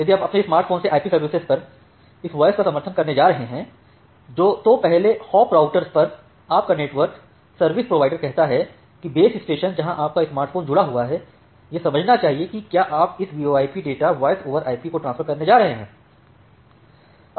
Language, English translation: Hindi, So, if you are going to support this voice over IP services from your smartphone, then your network service provider at the first hop router say the base station where your smartphone is connected it should understand that will you are going to transfer this VoIP data, voice over IP data